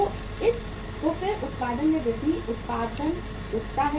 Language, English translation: Hindi, So then increase in the production, production picks up